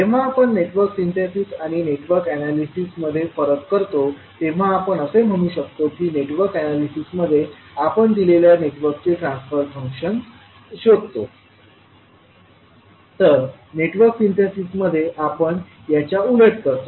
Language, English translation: Marathi, So when we differentiate between Network Synthesis and Network Analysis, we can say that in Network Analysis we find the transfer function of a given network while, in case if Network Synthesis we reverse the approach